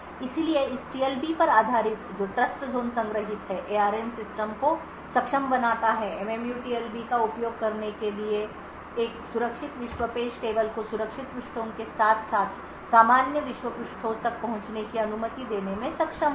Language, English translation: Hindi, So, based on this TLB which is stored Trustzone enable ARM systems the MMU would be able to use the TLB to say permit a secure world page table to access secure pages as well as normal world pages